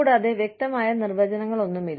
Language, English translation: Malayalam, And, there are no clear cut definitions